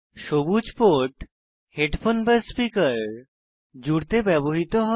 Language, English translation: Bengali, The port in green is for connecting headphone/speaker or line out